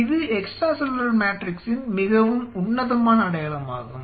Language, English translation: Tamil, It is a very classic signature of extra cellular matrix